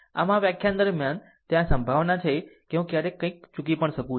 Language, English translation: Gujarati, So, during um this lecture, there is a p possibility occasionally I also may miss something